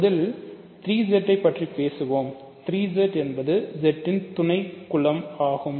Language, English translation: Tamil, So, let us first look at just as an example let us say 3 Z; 3 Z is a subgroup of Z